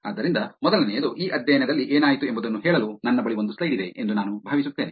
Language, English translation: Kannada, So the first one, I think I have one slide for a nudge to tell you what happened in this study